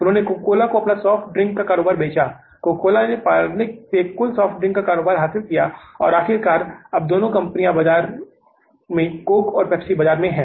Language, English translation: Hindi, Coca Cola acquired the total soft drink business from the Parley's and finally now the two companies are there in the market, Coke and the Pepsi